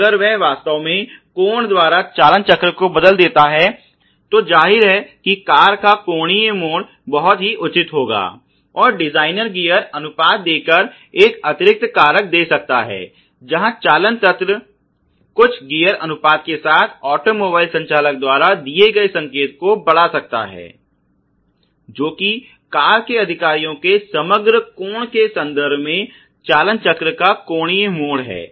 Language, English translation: Hindi, Now if he actually a turns the steering wheel by angle θ obviously the amount of angular turn or bend of the car would be would be very pertinent and the designer can give a additional factor within by giving a gear ratio where the steering mechanism of an automobile with certain gear ratio may amplify the signal given by the operator which is the certain angular twist in the steering wheel in terms of overall angle the car executives ok